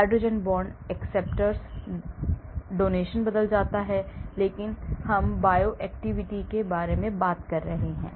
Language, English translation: Hindi, hydrogen bond acceptor donation changes but we are talking about bioactivity